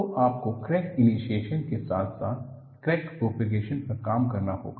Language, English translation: Hindi, So, you have to work upon crack initiation as well as crack propagation